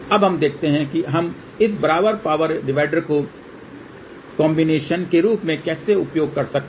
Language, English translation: Hindi, Now, let us see how we can use thisequal power divider as a combiner ok